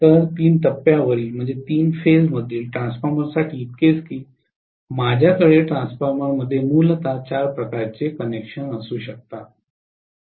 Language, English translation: Marathi, So, so much so for three phase transformer so I can have essentially four types of connections in the transformer